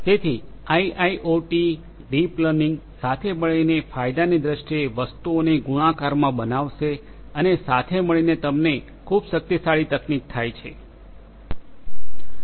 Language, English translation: Gujarati, So, together IIoT, deep learning together makes things multiplicative in terms of the benefits that can be obtained and together you get a very powerful technology